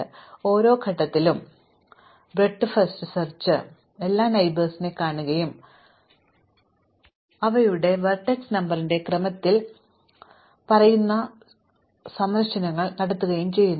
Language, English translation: Malayalam, So, in some sense at every point, breadth first search looks all its neighbors and visits them say in the order of their vertex number